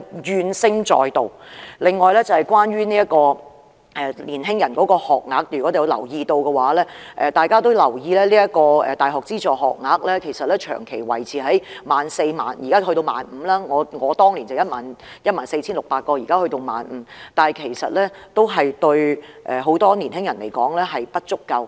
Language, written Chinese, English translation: Cantonese, 此外，關於年輕人的學額，如果大家有留意，大學資助學額長期維持在約 14,000 個，而我讀大學時是 14,600 個，現在則提升至 15,000 個，但對很多年輕人來說仍然不足夠。, In addition with regard to university places for young people if Honourable colleagues have paid attention the number of publicly - funded university places has remained at around 14 000 for a long time . There were 14 600 places when I was a university student and the number of places has only increased to 15 000 now; that is not enough for many young people